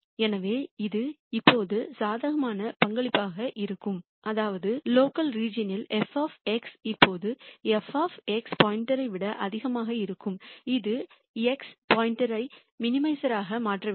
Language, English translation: Tamil, So, this will always be a positive contribution; that means, f of x will always be greater than f of x star in the local region which should make x star a minimizer